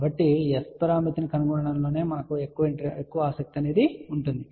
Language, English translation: Telugu, So, we are more interested in finding S parameter